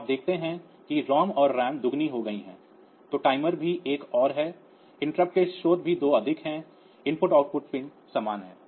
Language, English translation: Hindi, So, you see the ROM and RAM have been doubled then timer is also 1 more interrupts sources are also 2 more IO pin remains same